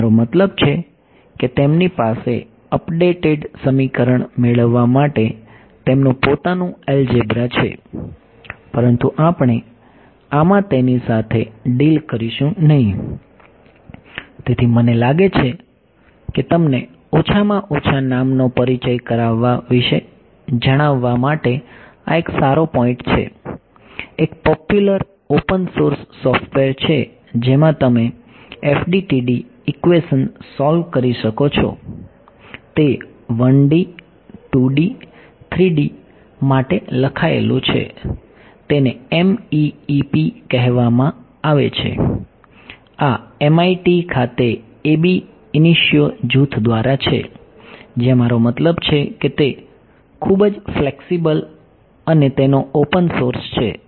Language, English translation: Gujarati, So, I think this is a sort of a good point to tell you about introduce at least the name to you, there is a popular open source software in which you can solve FDTD equations ok, it is written for 1 D, 2 D, 3 D it is called MEEP ok, this is by the Ab Initio group at MIT, where I mean it is a very flexible and its open source